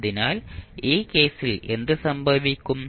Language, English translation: Malayalam, So, what will happen in this case